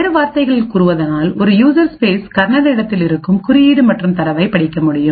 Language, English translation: Tamil, In other words, a user space would be able to read code and data present in the kernel space